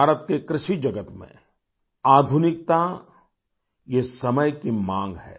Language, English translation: Hindi, Modernization in the field of Indian agriculture is the need of the hour